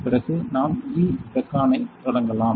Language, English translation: Tamil, Then we can start the E beacon